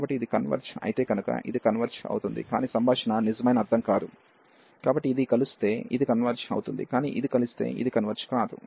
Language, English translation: Telugu, So, this converge so if this converges, but the converse is not true meaning that so this will converge if this converges, but if this converges this may not converge